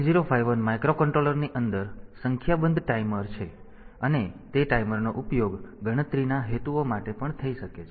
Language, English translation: Gujarati, 8051 microcontroller has got a number of timers inside it, and those timers can be also used for counting purposes